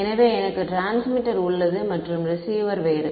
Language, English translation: Tamil, So, I have T x and R x are different